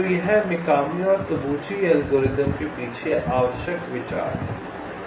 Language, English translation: Hindi, so the first step is same as in mikami and tabuchi algorithm